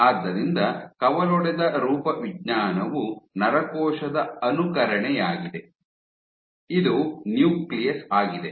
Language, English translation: Kannada, So, branched morphology mimetic of a neuron, this is a nucleus